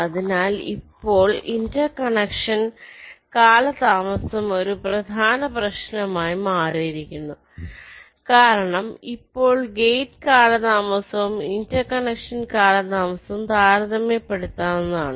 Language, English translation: Malayalam, so now interconnection delay has become a major issue because now the gate delays and the interconnection delays are almost becoming becoming comparable